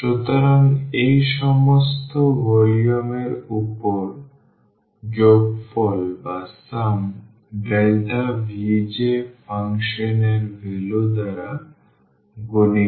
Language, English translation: Bengali, So, sum over these all the volumes delta V j multiplied by the function value